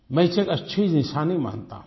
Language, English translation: Hindi, I see this as a good sign